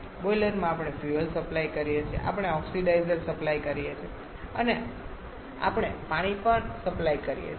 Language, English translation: Gujarati, So, in the boiler we supply fuel, we supply oxidizer and we also supply water